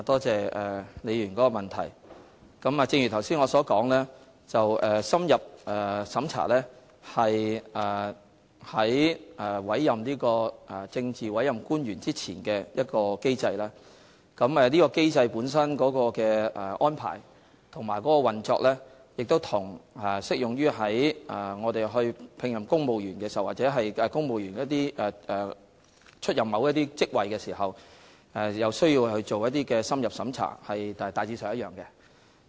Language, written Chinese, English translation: Cantonese, 正如我剛才所說，深入審查是在委任政治委任官員之前進行的，而這個機制在安排及運作上，與適用於聘用公務員或委任公務員出任某些職位時所須進行的深入審查的機制，大致相同。, As I said just now extended checking is conducted before the appointment of a PAO and this mechanism in terms of arrangements and operation is largely the same as that applicable to the extended checking required for employing civil servants or appointing civil servants to certain posts